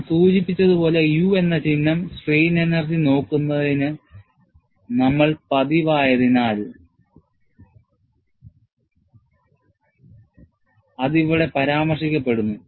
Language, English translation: Malayalam, As I mentioned, since we are accustomed to looking at strain energy with a symbol capital U, it is mentioned here